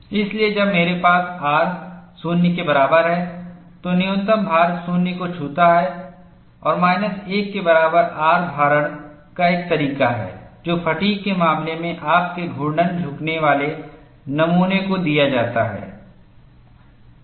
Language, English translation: Hindi, So, when I have R equal to 0, the minimum load touches 0, and R equal to minus 1 is the kind of loading that is given to your rotating bending specimen in the case of fatigue